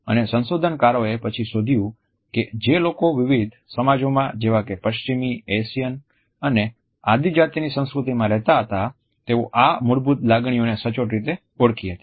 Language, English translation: Gujarati, And the researchers later on found that people who lived in different societies in Western, Asian and Tribal cultures were very accurate in recognizing these basic emotions